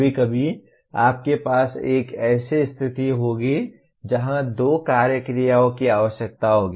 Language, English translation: Hindi, Occasionally you will have a situation where two action verbs are required